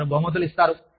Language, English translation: Telugu, They will reward you